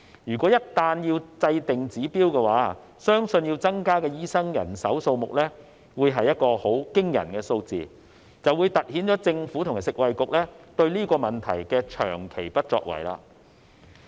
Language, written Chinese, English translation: Cantonese, 如果一旦制訂指標，相信要增加的醫生人手數目會是個很驚人的數字，就會凸顯了政府和食衞局對這個問題的長期不作為。, If a target is set I believe a staggering number of additional doctors will be required highlighting the long - term inaction of the Government and FHB on this issue